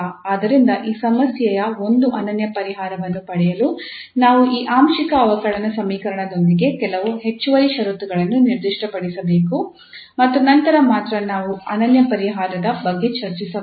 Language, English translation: Kannada, So we have to specify some extra conditions with this partial differential equation to have a unique solution of this problem and then only we can discuss about that unique solution later on